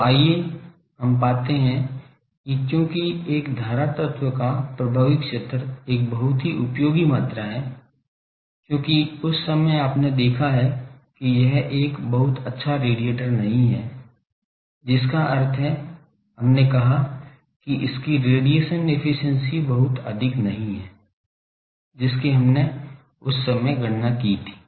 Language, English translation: Hindi, So, let us find that because effective area of a current element is a very useful quantity, because that time you have seen that it is not a very good radiator that means, we said that its radiation efficiency is not very high that we calculated that time